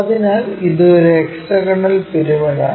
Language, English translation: Malayalam, So, it is a hexagonal pyramid